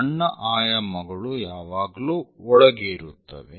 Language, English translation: Kannada, So, smaller dimensions are always be inside